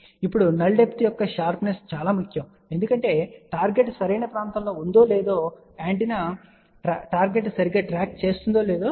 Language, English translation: Telugu, Now, sharpness of null depth is very very important, because this tells us whether the target is within the proper region or not, whether the antenna is tracking the target properly or not ok